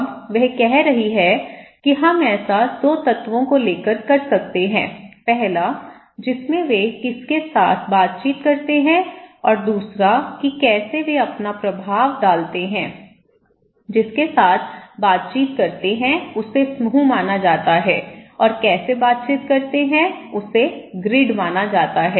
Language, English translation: Hindi, Now, she is saying that we can do this by taking 2 elements; one is whom one interact and how one interact with so, whom one interact is considered to be group and how they interact is considered to be grid, okay